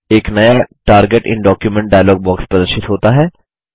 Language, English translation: Hindi, A new Target in document dialog box appears